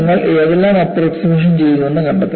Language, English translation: Malayalam, You have to find out, what approximations we have done